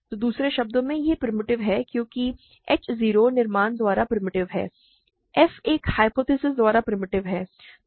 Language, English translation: Hindi, So, in other words this is primitive because h 0 is primitive by construction, f is primitive by a hypothesis